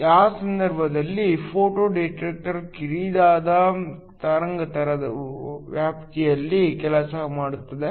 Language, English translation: Kannada, So in that case, a photo detector works over a narrow wavelength range